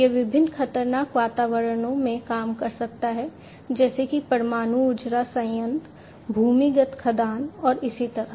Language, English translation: Hindi, It can work in different hazardous environments such as nuclear power plants, underground mines, and so on